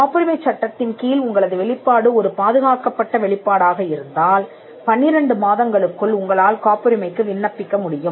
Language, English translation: Tamil, If your disclosure is a protected disclosure under the Patents Act, then you can file a patent within 12 months